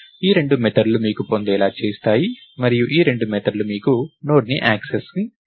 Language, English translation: Telugu, So, these two methods give you get and these two methods give you put access to Node, right